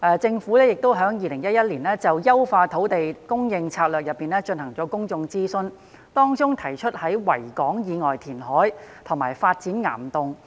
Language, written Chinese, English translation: Cantonese, 政府在2011年就"優化土地供應策略"進行公眾諮詢時，提出在維港以外填海及發展岩洞的方案。, During the public consultation on Enhancing Land Supply Strategy in 2011 the Government proposed the options of reclamation outside Victoria Harbour and rock cavern development